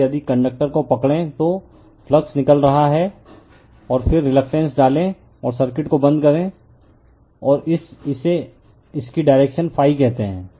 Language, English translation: Hindi, So, if you grab the conductor, the flux is coming out, and then you put the reluctance and close the circuit, and this is your what you call the direction of the phi